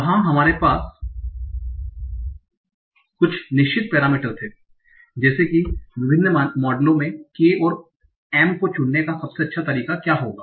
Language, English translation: Hindi, There we had certain parameters like what will be a best way of choosing K and M in different models